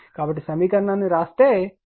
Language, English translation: Telugu, So, if you write the equation look it takes time